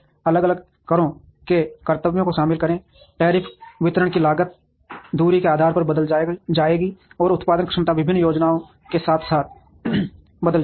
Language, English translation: Hindi, Involve different taxes duties tariffs distribution costs would change depending on the distance, and production capabilities would change with different plans